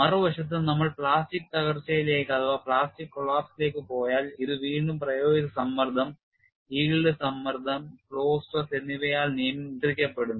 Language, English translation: Malayalam, On the other hand, we go to plastic collapse, this is controlled by again applied stress, yield stress as well as flow stress